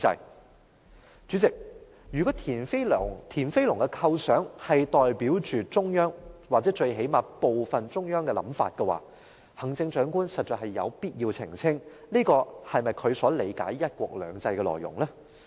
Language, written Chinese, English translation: Cantonese, 代理主席，如果田飛龍的構想代表中央，或最低限度是中央的部分想法，行政長官實在有必要澄清，這是否她所理解的"一國兩制"內容？, Deputy President if the idea of Mr TIAN Feilong can represent the thought of the central authorities or at least part of the thought of the central authorities it is indeed necessary for the Chief Executive to clarify whether this is her understanding of the substance under the principle of one country two systems